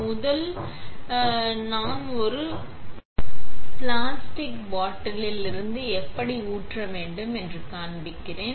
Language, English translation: Tamil, First, I will show you how to pour from a plastic bottle